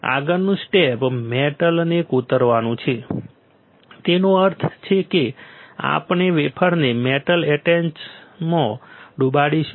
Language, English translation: Gujarati, Next step is to etch metal; that means, we will dip the wafer in metal etchant